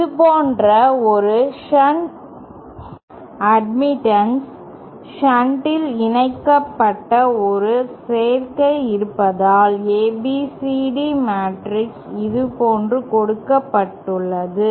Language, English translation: Tamil, If we have say a shunt admittance, an admittance connected in shunt like this, then it is ABCD matrix is given like this